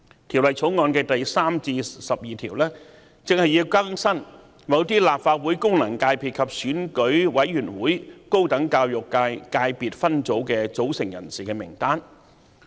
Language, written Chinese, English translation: Cantonese, 《條例草案》第3至12條正正旨在更新某些立法會功能界別及選舉委員會高等教育界界別分組的組成人士的名單。, Clauses 3 to 12 of the Bill precisely seek to update the lists of persons comprising certain FCs of the Legislative Council and the higher education subsector of the Election Committee